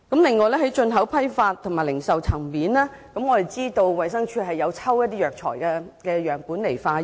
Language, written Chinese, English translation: Cantonese, 此外，在進口批發及零售層面，我們知道衞生署會抽取一些藥材樣本進行化驗。, Moreover at the import wholesale and retail levels we know that the Department of Health DH will collect some samples of herbal medicines for laboratory tests